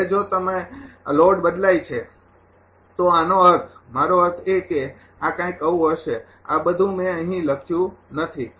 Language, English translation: Gujarati, Now, if the load changes then this I mean I mean it is something like this all this things I have not written here